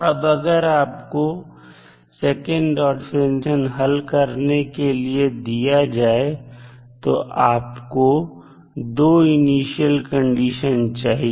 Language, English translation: Hindi, Now, if you are asked to solve such a second order differential equation you require 2 initial conditions